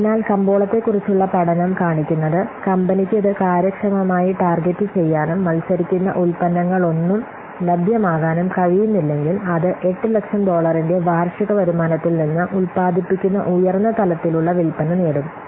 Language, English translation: Malayalam, So, study of the market shows that if the company can target it efficiently and no competing products become available, then it will obtain a high level of sales generating what an annual income of $8,000